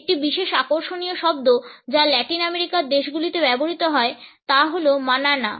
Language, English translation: Bengali, A particularly interesting word which is used in Latin American countries is Manana